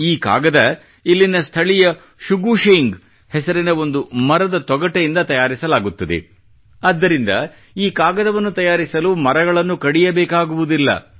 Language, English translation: Kannada, The locals here make this paper from the bark of a plant named Shugu Sheng, hence trees do not have to be cut to make this paper